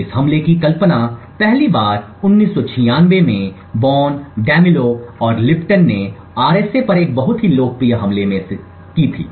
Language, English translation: Hindi, So this attack was first conceived in 1996 by Boneh, Demillo and Lipton in a very popular attack on RSA